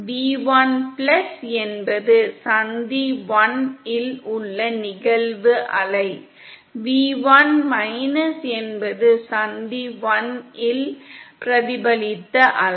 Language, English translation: Tamil, V1+ is the incident wave at junction 1, v1 is the reflected wave at junction 1